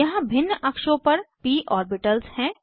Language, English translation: Hindi, Here are p orbitals in different axes